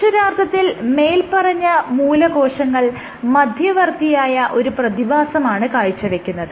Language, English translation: Malayalam, However, your stem cells exhibit an intermediate phenomenon